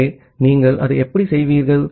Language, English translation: Tamil, So, how will you do that